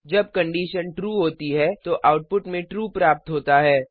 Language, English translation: Hindi, True is the output when the condition is true